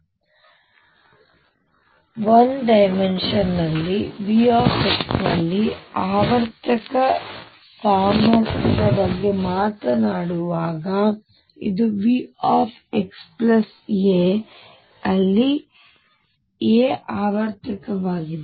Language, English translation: Kannada, So, when I talk about a periodic potential in 1D V x this is V x plus a, where a is the periodicity